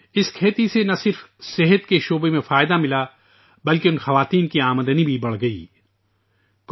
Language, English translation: Urdu, Not only did this farming benefit in the field of health; the income of these women also increased